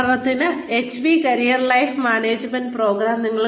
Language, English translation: Malayalam, For example, the HP career self management program